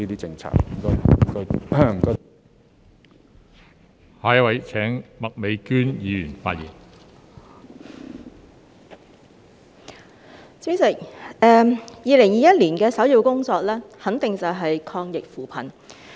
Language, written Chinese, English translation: Cantonese, 代理主席 ，2021 年的首要工作肯定便是抗疫扶貧。, Deputy President the top priority in 2021 is definitely fighting the epidemic and poverty